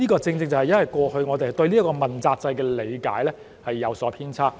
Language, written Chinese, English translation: Cantonese, 這正正因為過去我們對這個問責制的理解有所偏差。, This is precisely due to our misunderstanding of the accountability system at that time